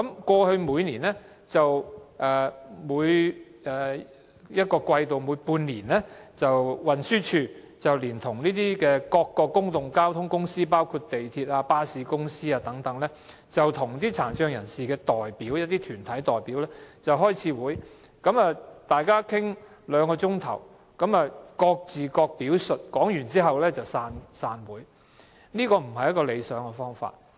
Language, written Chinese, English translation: Cantonese, 過去，運輸署每半年會聯同各公共交通公司，包括港鐵公司和巴士公司等，與殘疾人士的代表團體開會，會上大家討論兩小時，各自表述意見後便散會，這並非理想做法。, It has been a practice for the Transport Department and various public transport service providers including the MTR Corporation Limited and bus companies to meet with organizations representing PWDs every six months . At these meetings discussions are held for two hours and after various parties made their representations the meetings will come to an end